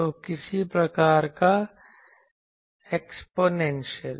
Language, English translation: Hindi, So, some sort of exponential